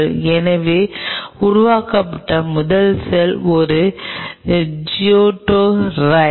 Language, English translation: Tamil, so the first cell which was formed was a zygote, right